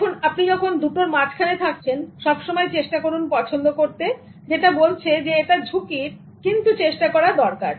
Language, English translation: Bengali, Now when you are caught between those two, always try to choose the one that is saying that it's risky but it's worth trying